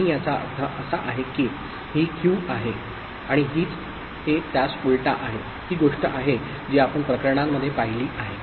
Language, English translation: Marathi, And that means, this is Q and this is the invert of it that is what we have seen in the cases; the allowable cases, right